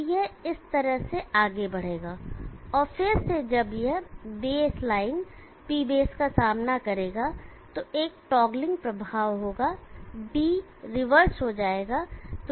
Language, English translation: Hindi, So it will move like this and again the moment it encounters the base line P base there is a toggling effect D will reverse